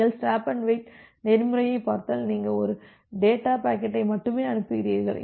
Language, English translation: Tamil, If you look into the stop and wait protocol, so the stop and wait protocol you are sending only one data packet